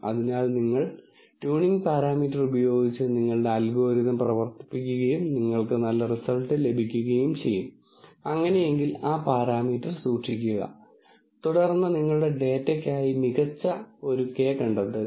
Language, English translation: Malayalam, So, you use a tuning parameter, run your algorithm and you get good results, then keep that parameter if not you kind of play around with it and then find the best k for your data